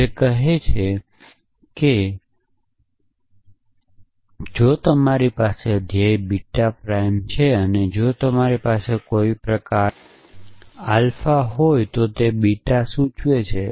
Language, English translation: Gujarati, It says that if you have a goal beta prime and if you have a rule of the kind alpha implies beta